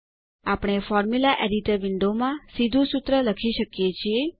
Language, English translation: Gujarati, We can directly write the formula in the Formula Editor window